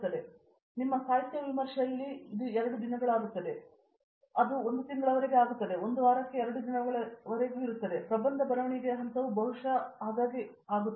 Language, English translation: Kannada, So, at your literature review it would become fortnightly, then it would become to a month then it would be fortnightly to a week and then the thesis writing stage perhaps the thing would become much much more frequent